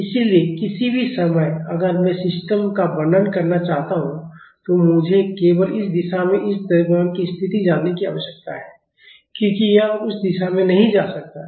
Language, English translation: Hindi, So, at any instant of time, if I want to describe the system all I need to know is the position of this mass in this direction because this cannot move in that direction